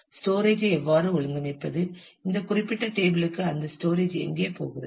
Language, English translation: Tamil, How will you organize the storage, where is that storage will go to this particular table